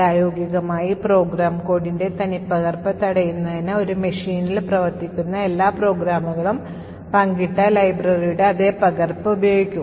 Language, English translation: Malayalam, In practice, typically to prevent duplication, all programs that are running in a machine would use the same copy of the shared library